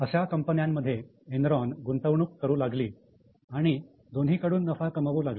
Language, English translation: Marathi, So, Enron was making investment in those firms and they were making profits from both the ways